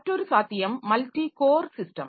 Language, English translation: Tamil, Then other possibility is the multi core system